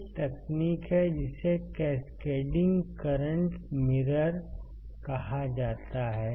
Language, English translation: Hindi, So, what can we do, we can use cascaded current mirror